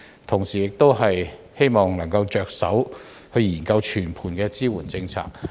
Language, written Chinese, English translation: Cantonese, 同時，我亦希望政府能夠着手研究全盤的支援政策。, Meanwhile I also hope that the Government will start deliberating on a comprehensive support policy